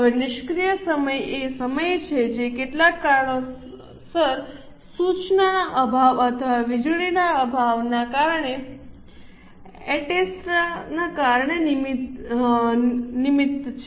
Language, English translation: Gujarati, Now, idle time is a time which is wasted because of some reason like lack of instruction or lack of power etc